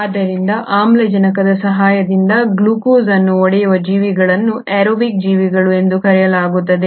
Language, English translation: Kannada, So, those organisms which break down glucose with the aid of oxygen are called as the aerobic organisms